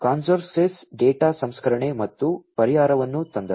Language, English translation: Kannada, Karnouskos came up with another solution for data processing